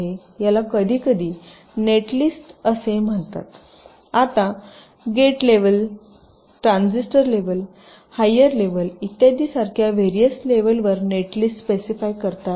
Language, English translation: Marathi, now a net list can be specified at various level, like gate level, transistor level, higher level and so on